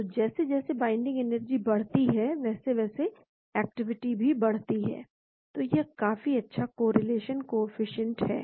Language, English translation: Hindi, so as the binding energy increases the activity also increases , so this is quite good correlation coefficient